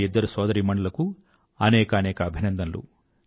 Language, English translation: Telugu, Many congratulation to these two sisters